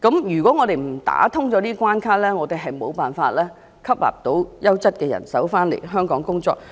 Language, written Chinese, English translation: Cantonese, 如果我們不打通這關卡，香港便無法吸納優質的人手到港工作。, If we are not going to remove the hurdle Hong Kong can never attract quality talents to come and work here